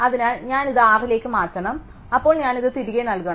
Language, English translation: Malayalam, So, I would have to move this to R, then I would to put this back into